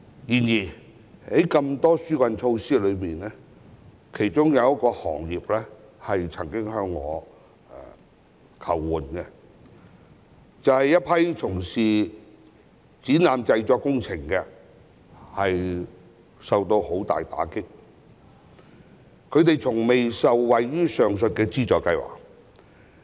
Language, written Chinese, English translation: Cantonese, 然而，縱有眾多紓困措施，有一個受影響的行業曾向我求助，就是一群從事展覽製作工程業的人士，他們受到重大打擊，但從未受惠於上述的資助計劃。, However despite the numerous relief measures one affected sector has approached me for assistance . They are a group of people engaging in exhibition production who have suffered a severe blow but have never benefited from the aforementioned subsidy scheme